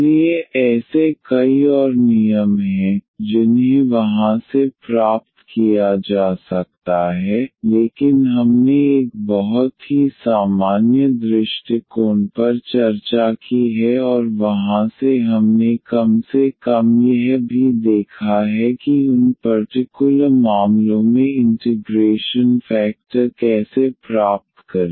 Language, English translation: Hindi, So, there are many more such rules can be derived from there, but what we have discussed a very general approach and from there also we have at least seen how to get the integrating factor in those special cases